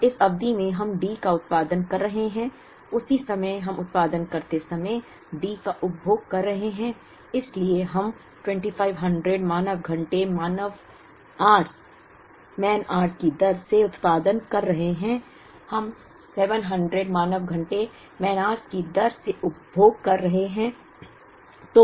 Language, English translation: Hindi, Now, this period we are producing D, at the same time we are consuming D while we produce, so we are producing at the rate of 2500 man hours, we are consuming at the rate of 700 man hours